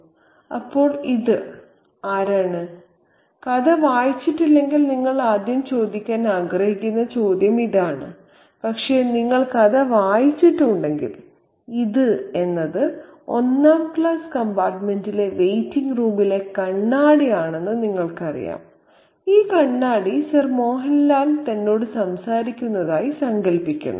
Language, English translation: Malayalam, That's the first question that you might want to ask if you haven't read the story, but if you have read the story you would know that it is the mirror, the mirror in the waiting room of the first class compartment and this mirror Sir Mohan Lal imagines to be talking to him